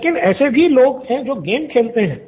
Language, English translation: Hindi, There are people playing games